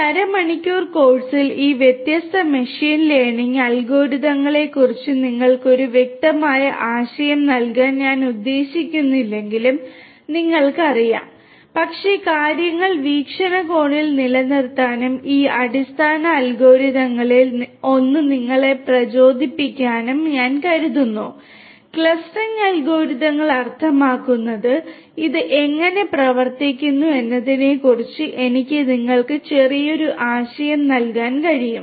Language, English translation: Malayalam, You know even though I do not intend to give you a definitive idea of all these different machine learning algorithms in this half an hour course, but I think in order to keep things in perspective and to motivate you enough one of these basic algorithms the K means clustering algorithms I can give you little bit of idea about how it works